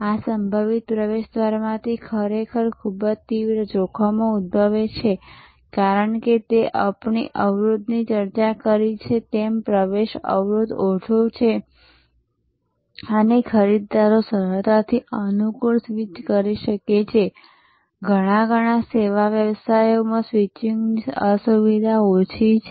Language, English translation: Gujarati, The really very intense threats emanate from this potential entrance, because as we discussed the barrier, entry barrier is low and buyers can easily switch the convenient, inconvenience of switching is rather low in many, many service businesses